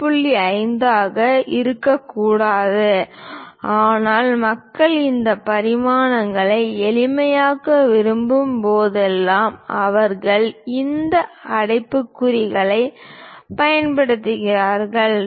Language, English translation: Tamil, 5, but whenever people would like to simplify these dimensions just to represent they use these parenthesis with the letter 2